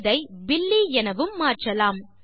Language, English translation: Tamil, We can change this to Billy